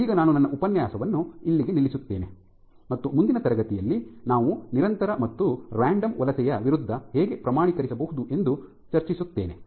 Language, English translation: Kannada, So, I will stop here for today, and in next class I will give some discussion as to how we can quantify persistent versus random migration